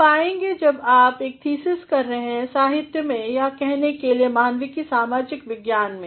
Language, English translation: Hindi, You will find when you are doing a thesis on literature or say humanities on social sciences